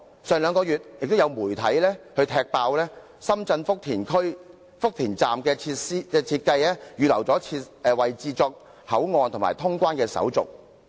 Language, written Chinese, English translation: Cantonese, 而兩個月前，亦有媒體踢爆深圳福田站的設計是預留了位置作口岸及通關手續。, And just two months ago media reports revealed that as shown in the design of the Futian Station in Shenzhen room was actually earmarked for establishing port areas and clearance facilities there